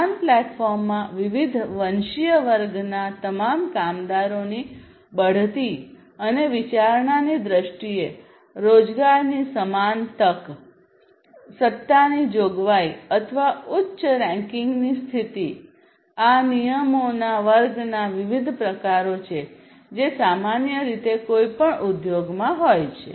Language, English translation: Gujarati, Equal opportunity in employment in terms of promotion and consideration of all workers from different ethnicity in the equal platform, provisioning of authority or higher ranking position; so, these are different types of classes of regulations that are typically there in any industry